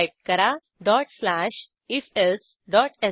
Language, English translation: Marathi, Type dot slash ifelse.sh